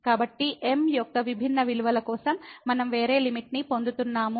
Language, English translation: Telugu, So, what we observe again that for different values of , we are getting a different limit